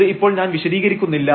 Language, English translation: Malayalam, So, in I am not going to explain this now